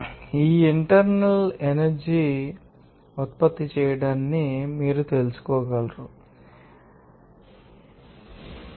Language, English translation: Telugu, And this internal energy you can you know produced by you know supplying some, you know, extra work on this